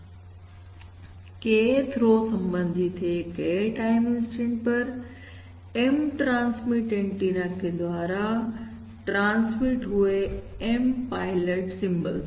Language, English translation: Hindi, Kth row corresponds to the M transmit antenna: M pilot symbols transmitted from the M transmit antennas at time, instant K